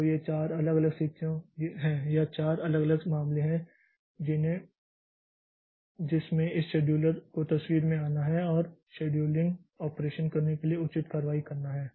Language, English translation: Hindi, So, these are the four different situation or four different cases into which this scheduler has to come into picture and take appropriate action to do the scheduling operation